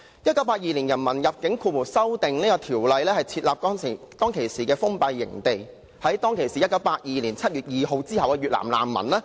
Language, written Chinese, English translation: Cantonese, 《1982年人民入境條例草案》旨在設立封閉營地，處理於1982年7月2日或之後抵港的越南難民。, The purpose of the Immigration Amendment Bill 1982 was to set up closed camps to deal with Vietnamese refugees who arrived in Hong Kong on 2 July 1982 or thereafter